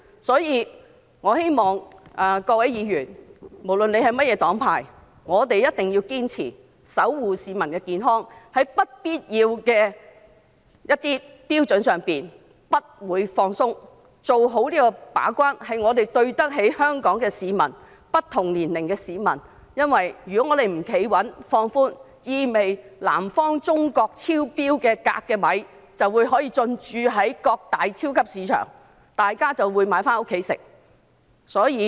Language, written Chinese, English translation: Cantonese, 因此，我希望各位議員，無論是甚麼黨派，必定要堅持守護市民的健康，在有關標準上不放鬆，做好把關的工作，我們要對得起香港不同年齡的市民，因為如果我們不穩守標準而予以放寬的話，這意味着中國南方鎘含量超標的米將可以進駐各大超級市場，大家便會買回家進食。, Therefore I hope that Members irrespective of their political affiliations will definitely persist in protecting the public health . I hope that Members will make no compromise over this standard in order to properly perform the gate - keeping role . We must justify ourselves to the citizens of Hong Kong of all ages because if we do not uphold this standard firmly but relax it it means that rice containing excessive cadmium produced in southern China would find its way into various major supermarkets for people to buy home for consumption